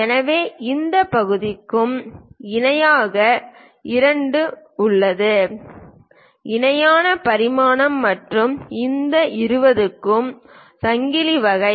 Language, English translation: Tamil, So, we have both the parallel for these 8 parts; parallel dimensioning and for this 20, chain kind of part